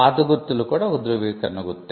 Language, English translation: Telugu, Old mark is a certification mark